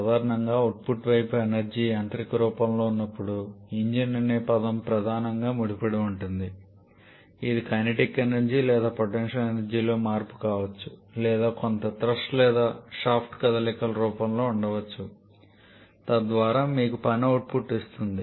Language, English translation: Telugu, And generally, the term engine is primarily associated when the output side energy is in mechanical form, which can be a change in kinetic energy or potential energy or maybe in the form of some thrust or shaft movement, thereby giving you work output